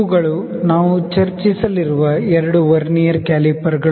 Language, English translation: Kannada, So, these are the two Vernier calipers that we will discuss